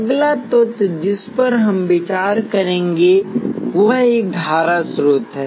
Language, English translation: Hindi, The next element we will be considering is a current source